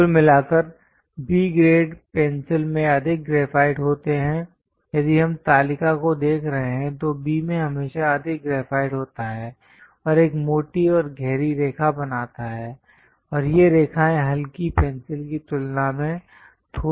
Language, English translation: Hindi, Over all B grade pencils contains more graphite; if we are looking at the table, B always contains more graphite and make a bolder and darker lines, and these lines are little smudgier than light pencil